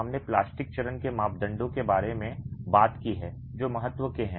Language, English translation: Hindi, We talked about the plastic stage parameters that are of importance